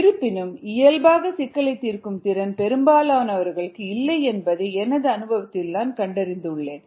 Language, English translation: Tamil, however, in my experience i found that most people do not have problem solving as that natural skill